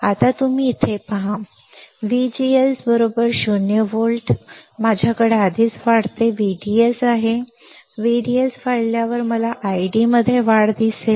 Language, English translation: Marathi, Now you see here, at V G S equals to 0 volt I already have an increasing V D S, on increasing V D S, I will see increase in I D